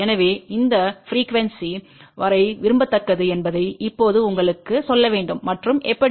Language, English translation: Tamil, So, just to tell you now up to what frequency which one is preferable and how